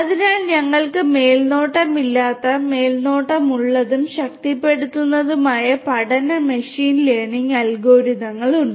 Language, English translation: Malayalam, So, we have unsupervised, supervised and reinforcement learning machine learning algorithms